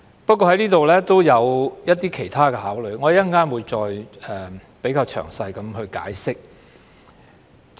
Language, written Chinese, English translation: Cantonese, 不過，我就這項條文也有其他質疑，我稍後會再作詳細解釋。, However I have other questions about this clause and I will explain in detail later